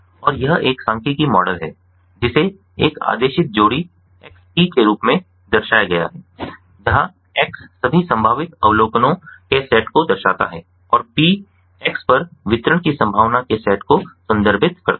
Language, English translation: Hindi, is represented as an ordered pair: x p, where x denotes the set of all possible observations and p refers to the set of probability of distributions on x